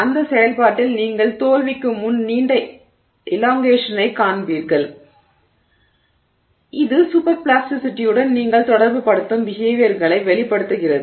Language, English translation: Tamil, And in that process you see long elongations before failure so it seems to convey the kind of behavior that you associate with superplasticity